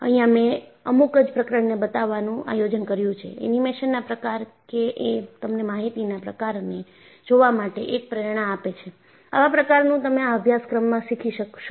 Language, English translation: Gujarati, You know, I planned to show for a few chapters, the type of animations, that would give you a motivation for you to look for the kind of information, you will learn in this course